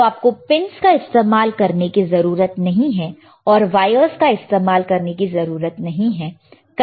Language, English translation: Hindi, So, you do not have to use the pins, you do not have to use the wires to connect it here